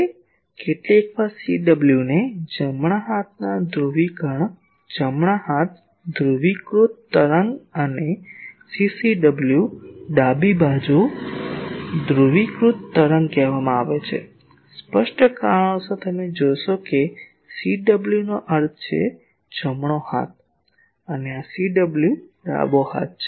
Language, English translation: Gujarati, Now sometimes the CW is called right hand polarisation, right hand polarized wave and CCW is left hand polarized wave; for obvious reasons you see that CW means right hand and this CW is left hand